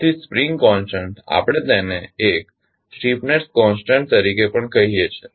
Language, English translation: Gujarati, So, the spring constant we also call it as a stiffness constant